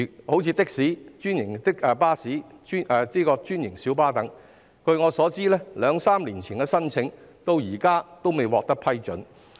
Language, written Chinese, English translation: Cantonese, 例如的士、專營巴士及小巴等，據我所知，它們在兩三年前的加價申請至今仍然未獲批准。, For example to my knowledge the fare increase applications of taxis franchised buses and minibuses made a couple of years ago have not yet been approved